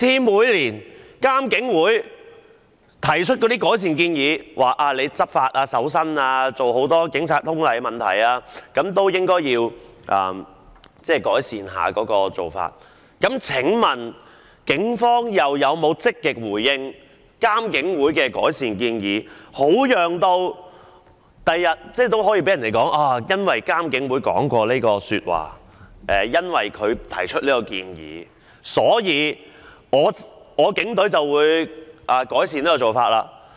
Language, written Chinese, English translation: Cantonese, 每年監警會也會提出改善建議，以改善在執法、搜身及警察通例方面的種種做法，請問警方有否積極回應監警會的改善建議，好讓警方日後可以向大家表示他們已因應監警會的意見和建議改善相關做法？, Every year IPCC will make recommendations on improvement to various practices in such aspects as law enforcement body searches and the Police General Orders . May I ask if the Police have positively responded to IPCCs recommendations on improvement so that they may tell us in future that they have improved such practices taking into account IPCCs views and recommendations?